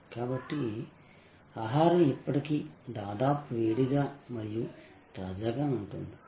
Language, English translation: Telugu, So, that the food is still almost hot and fresh